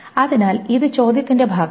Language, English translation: Malayalam, So this is part of the question